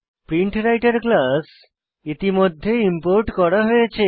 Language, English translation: Bengali, Notice that the PrintWriter class is already imported